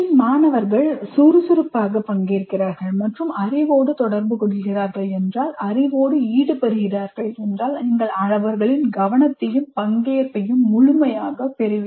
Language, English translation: Tamil, If they are actively participating and interacting with the knowledge, engaging with the knowledge, you will have their attention and participation fully